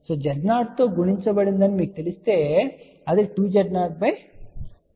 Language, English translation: Telugu, If you know multiplied by Z 0 that will be two Z 0 divided by 2 Z 0 plus Z